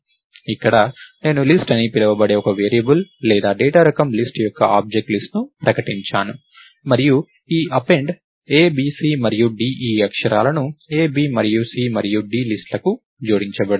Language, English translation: Telugu, So, here I declare a variable called list or an object list which is of the data type List and this Append a, b, c and d is going to add these characters a, b and c and d to the list